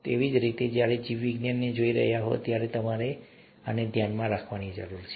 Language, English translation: Gujarati, So, you need to keep this in mind when you are looking at biology